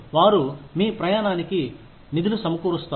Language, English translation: Telugu, They will fund your travel